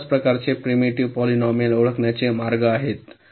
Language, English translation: Marathi, so there are ways to identify ah, this, this kind of primitive polynomials